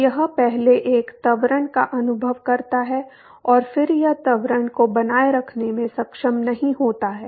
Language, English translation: Hindi, So, it first experiences an acceleration and then it is not able to sustain the acceleration